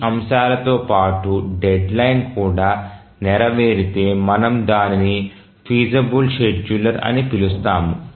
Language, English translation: Telugu, In addition to these aspects, if the deadline is also met then we call it as a feasible schedule